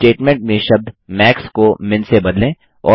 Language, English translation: Hindi, Now, lets replace the term MAX in the statement with MIN